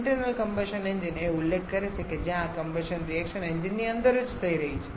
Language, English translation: Gujarati, Internal combustion engine refers where this combustion reaction is happening inside the engine itself